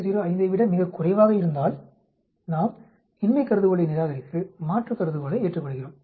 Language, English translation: Tamil, 05, then we reject the null hypothesis and accept the alternate hypothesis ok